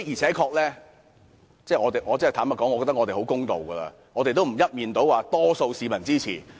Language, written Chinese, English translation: Cantonese, 坦白說，我認為我們已很公道，沒有說我們一面倒獲得多數市民支持。, Honestly we consider ourselves very fair . We did not say we had the publics overwhelming support